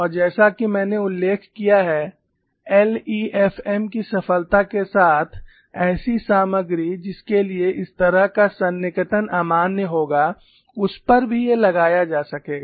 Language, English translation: Hindi, And as I mention with the success of LEFM, materials for which such as approximation would be invalid also became of interest